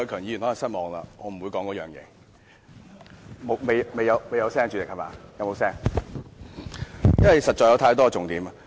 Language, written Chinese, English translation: Cantonese, 有沒有聲音？——因為實在有太多重點。, Do you hear any sound?―because there are too many key points indeed